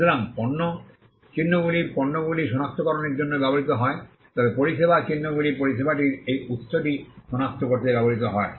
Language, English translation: Bengali, So, goods marks are used for recognizing goods whereas, service marks are used to recognize this source of the service